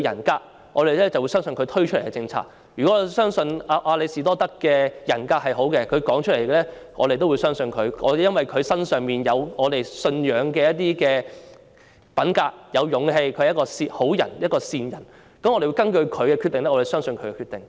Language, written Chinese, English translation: Cantonese, 舉例來說，如果我們相信亞里士多德有好的人格，我們便會相信他的說話，而因為他身上有我們信仰的品格、勇氣，我們認為他是一個好人、一個善人，我們繼而相信他的決定。, For instance if we trust that Aristotle has a good personality we will believe his words . Since he possesses the character and courage which we believe we consider him a good man and a kind man and we thereby trust his decisions